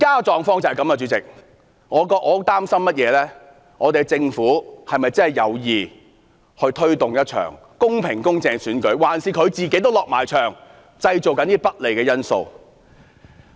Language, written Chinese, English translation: Cantonese, 主席，我擔心政府是否真的有意推動一場公平、公正的選舉，還是自己也"落場"製造一些不利的因素。, Why are these facilities left unrepaired after one or two weeks? . Does the Government deliberately do so? . President I am worried whether the Government truly wishes to hold a fair and just election; or whether it wishes to proactively create some unfavourable factors